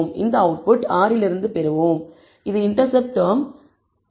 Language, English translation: Tamil, We will get this output from R and it tells that the intercept term is minus 24